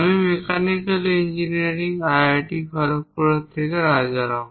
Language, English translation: Bengali, I am Rajaram from Mechanical Engineering, IIT Kharagpur